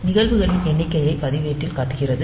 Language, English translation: Tamil, So, shows the number of events on register